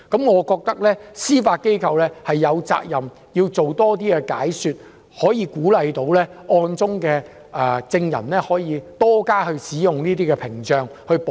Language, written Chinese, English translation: Cantonese, 我認為司法機構有責任多作解說，鼓勵案中受害人及證人多加使用屏障自我保護。, I think that the Judiciary is obligated to explain more and encourage the victims and witnesses of the cases to protect themselves by requesting to be shielded behind screens